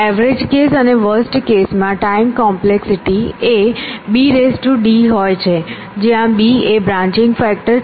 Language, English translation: Gujarati, On the average case, and the worst case this time complexity for both is of the order of b is to d, where b is the branching factor